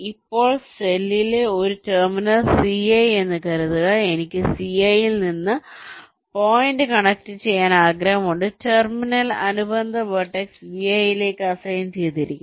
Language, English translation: Malayalam, right now a terminal in cell c i suppose i want to connect ah point from c i, the terminal is assigned to the corresponding vertex v i